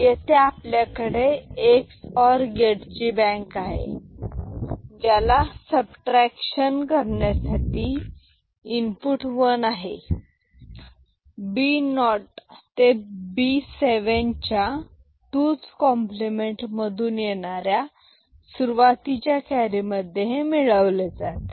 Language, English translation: Marathi, So, we are having a bank of XOR gate here and bank of XOR gate here and this sum input is 1 when we are doing subtraction and which adds to the carry initial carry in the 2’s complement of this B 7 to B naught number